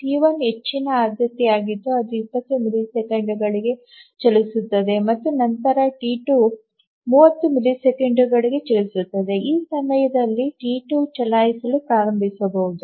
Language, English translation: Kannada, T1 is the highest priority that runs for 20 and then T2 runs for 30 and at this point T3 can start to run